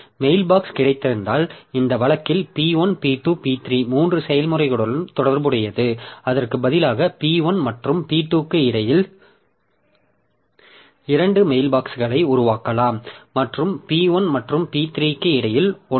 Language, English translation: Tamil, So, if I have got mail box a single mailbox A in this case was associated with three processes, P1, P3, instead of that we can create two mailboxes, one between P1 and P2 and one between p1 and p3